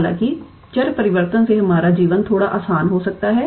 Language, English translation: Hindi, However, doing that the change of variable might make our life a little bit easier